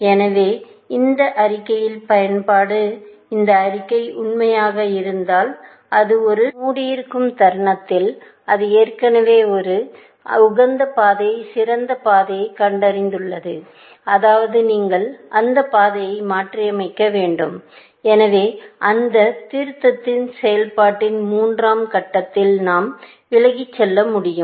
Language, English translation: Tamil, So, the application of this statement, if this statement were to be true, it means that it, the moment it puts a node into closed, it has already found a better path, best path to it; optimal path to it, which means you have to revise that path, so that, the third stage of that revision process, we can do away with, essentially